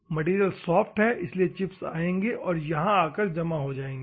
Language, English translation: Hindi, This material is soft so, the chips will come and clog here